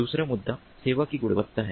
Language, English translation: Hindi, second issue is quality of service